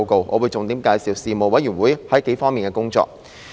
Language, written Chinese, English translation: Cantonese, 我會重點介紹事務委員會在幾方面的工作。, I will highlight the work of the Panel in a number of aspects